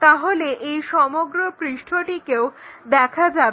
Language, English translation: Bengali, So, this entire surface will be visible